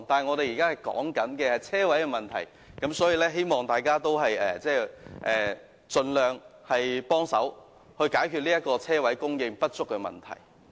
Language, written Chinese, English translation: Cantonese, 說回泊車位的問題；我希望大家盡量幫忙解決泊車位供應不足的問題。, Going back to the issue of parking spaces I hope that Members would make efforts to solve the problem of insufficient parking spaces